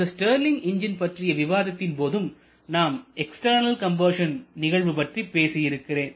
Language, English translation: Tamil, It is another example I think in case of Stirling engine I have mentioned about this external combustion part also